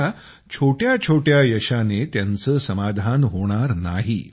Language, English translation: Marathi, Now they are not going to be satisfied with small achievements